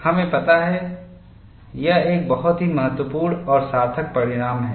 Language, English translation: Hindi, You know, this is a very very important and significant result